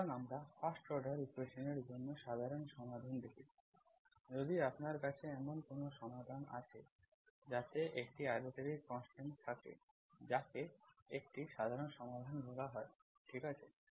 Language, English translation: Bengali, So we have seen that general solution is, if you, if it is a first order equation, if you have a solution that contains an arbitrary constant, that is called a general solution, okay